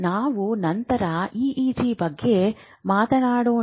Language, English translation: Kannada, We can talk about EG later on also